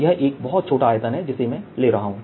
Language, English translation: Hindi, ok, this is a very small volume that i am taking